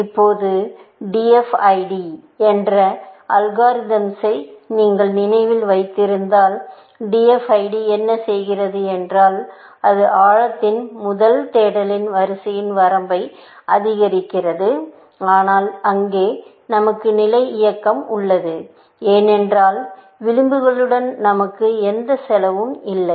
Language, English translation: Tamil, Now, if you remember the algorithm DFID, what DFID does is that it does the sequence of depth first search, with increasing that bound, but there, we have the motion of level, because we had no cost associated with edges